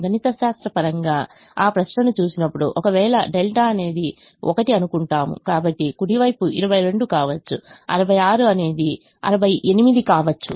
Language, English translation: Telugu, mathematically putting that question is: if delta is one, so right hand side may become twenty two, sixty six may become sixty eight